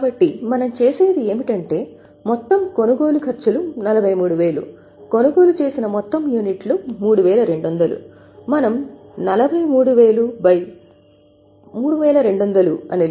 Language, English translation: Telugu, So, what we do is since total quantity is 3,200 the total cost is 43, we can calculate 43 upon 32